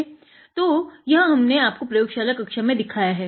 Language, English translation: Hindi, So, this is what we have taught you in the lab class